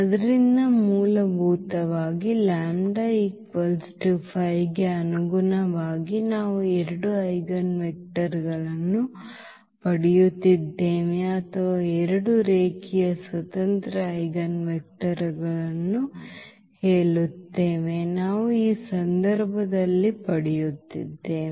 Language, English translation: Kannada, So, basically corresponding to lambda is equal to 5 we are getting 2 eigenvectors or rather to say 2 linearly independent eigenvectors, we are getting in this case